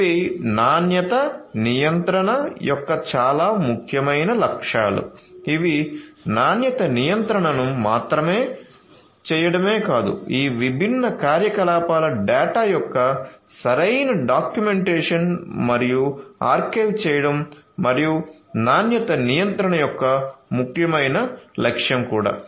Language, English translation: Telugu, These are also very important objectives of quality control it is not just performing the quality control, but also the proper documentation and archiving of all these different activities data and so on that is also an important objective of quality control